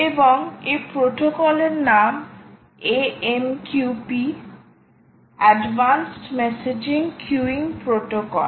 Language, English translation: Bengali, the name of this protocol is a m q p advanced messaging queuing protocol, ah